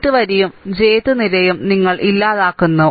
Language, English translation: Malayalam, Ith row and jth column you eliminate, right